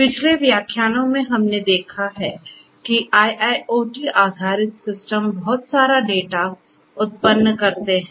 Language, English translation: Hindi, In the previous lectures we have seen that IIoT based systems generate lot of data